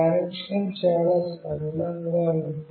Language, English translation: Telugu, The connection is fairly straightforward